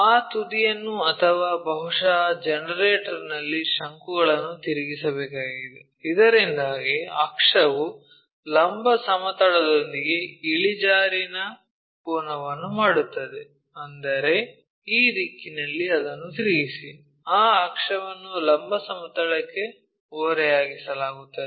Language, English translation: Kannada, So, we have to rotate that apex or perhaps that cone on the generator, so that axis itself makes an inclination angle with the vertical plane, that means, rotate that in this direction, so that axis is inclined to vertical plane